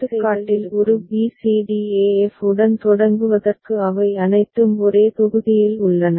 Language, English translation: Tamil, So, in this example to start with a b c d e f all of them are in one block